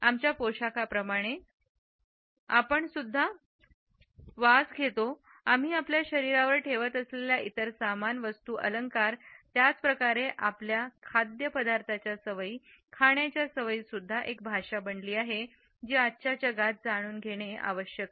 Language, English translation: Marathi, Like our dress like the smells we wear, like the accessories we carry along with our body, the way we prefer our food to be eaten etcetera also has become a language which is important to understand in today’s world